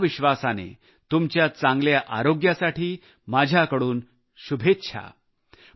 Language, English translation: Marathi, With this assurance, my best wishes for your good health